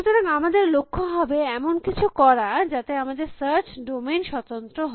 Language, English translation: Bengali, So, our goal would be to do something called our search should be domain independent